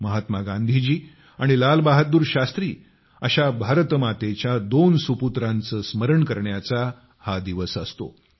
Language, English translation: Marathi, This day, we remember two great sons of Ma Bharati Mahatma Gandhi and Lal Bahadur Shastri